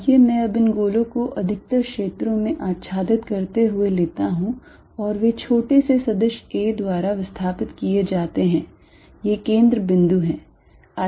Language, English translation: Hindi, Let me now take these spheres to be overlapping over most of the regions and they are displaced by small vector a, these are the centres